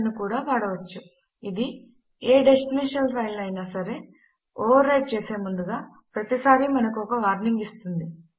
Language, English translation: Telugu, We can also use the ioption, this always warns us before overwriting any destination file